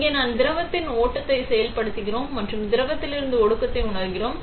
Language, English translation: Tamil, Here we are activating the flow of the liquid and sensing condense from the liquid